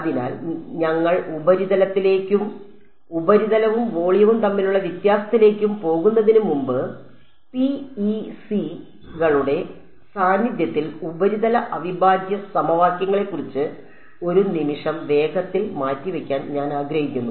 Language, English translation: Malayalam, So, before we go into surface and the difference between surface and volume, I want to take a quick aside, one sec, about surface integral equations in the presence of PECs